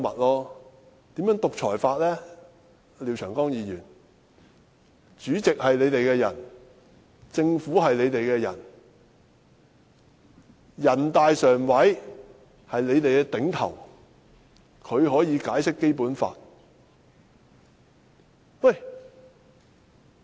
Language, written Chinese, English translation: Cantonese, 廖長江議員，主席是你們的人，政府是你們的人，全國人民代表大會常務委員會是你們的頂頭上司，它可以解釋《基本法》。, Mr Martin LIAO the President is from your camp and the Government is on your side . The Standing Committee of the National Peoples Congress which is your immediate supervisor holds the power to interpret the Basic Law